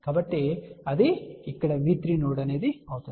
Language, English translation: Telugu, So, that will be V 3 node over here